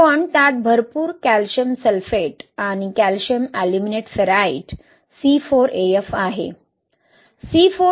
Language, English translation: Marathi, But it has a lot of Calcium Sulphate and Calcium Aluminate Ferrite, C4AF